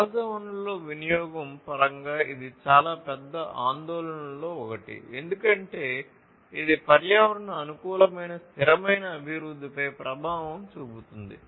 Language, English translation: Telugu, So, in terms of consumption of natural resources this is one of the very biggest concerns, because that has impact on the sustainable development which is environment friendly